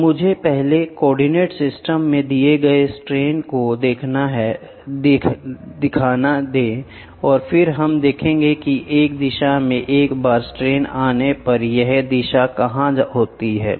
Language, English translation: Hindi, So, let me drop first the strains given in coordinates system and then, we will see where does this one direction strain once strain 3 comes